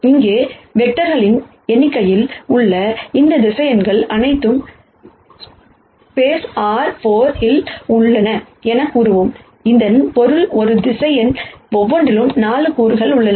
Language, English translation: Tamil, There are in nite number of vectors here and we will say all of these vectors are in space R 4 , which basically means that there are 4 components in each of these vectors